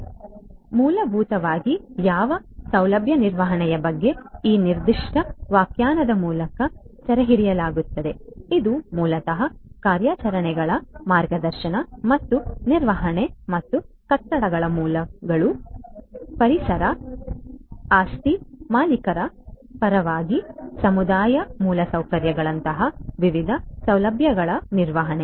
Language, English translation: Kannada, So, essentially what facility management talks about is captured through this particular definition, it is basically the guiding and managing of the operations and maintenance of different facilities such as buildings, precincts, community infrastructure on behalf of property owners we need to manage all of these